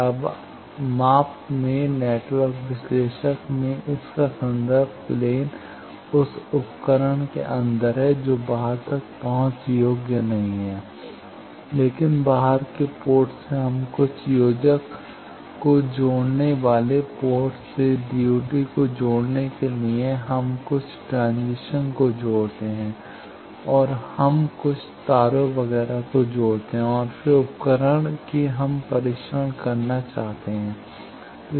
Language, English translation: Hindi, Now in the measurement network analyser its reference plane is quite inside the instrument that is not accessible to outside, but in outside to connect the DUT from the ports we connect some connectors, we connect some transition, we connect some cables etcetera and then the device that we want to test that is